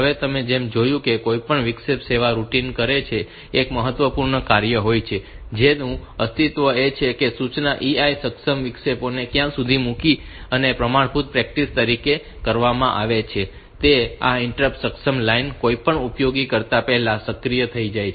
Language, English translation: Gujarati, Now, as I said that any interrupt service routine one of the important job that it does is to exist is to put the instruction EI enable interrupts somewhere and as a standard practice what is done is that this interrupt enable line is activated just before doing anything very much useful